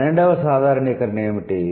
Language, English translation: Telugu, What is the 12th generalization